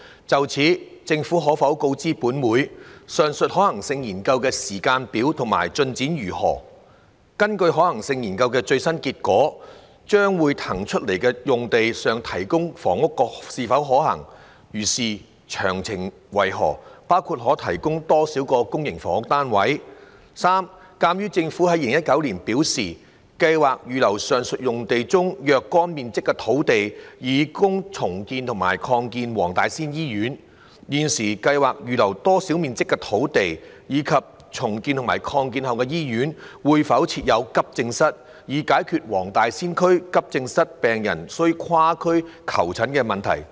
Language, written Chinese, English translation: Cantonese, 就此，政府可否告知本會：一上述可行性研究的時間表及進展為何；二根據可行性研究的最新結果，在將會騰空出來的用地上提供房屋是否可行；如是，詳情為何，包括可提供多少個公營房屋單位；及三鑒於政府在2019年表示，計劃預留上述用地中若干面積的土地以供重建和擴建黃大仙醫院，現時計劃預留多少面積的土地，以及重建和擴建後的醫院會否設有急症室，以解決黃大仙區急症病人需跨區求診的問題？, In this connection will the Government inform this Council 1 of the timetable for and progress of the aforesaid feasibility study; 2 whether according to the latest outcome of the feasibility study it is feasible to provide housing on the site to be vacated; if so of the details including the number of public housing units that can be provided; and 3 as the Government indicated in 2019 that it had planned to reserve a certain area of land in the aforesaid site for redeveloping and expanding the Wong Tai Sin Hospital of the area of land it currently plans to reserve and whether the Hospital will upon redevelopment and expansion be provided with an accident and emergency AE department so as to resolve the problem of AE patients of the Wong Tai Sin district having to seek medical consultation in other districts?